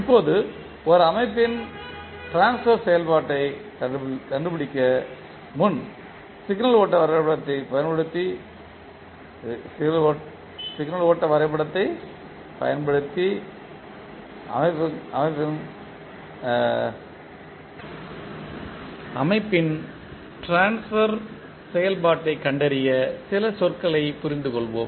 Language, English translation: Tamil, Now, before going into finding out the transfer function of a system let us understand few terms which we will use for finding out the transfer function of the system using signal flow graph